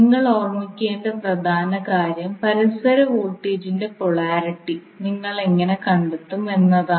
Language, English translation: Malayalam, So the important thing which you have to remember is that how you will find out the polarity of mutual voltage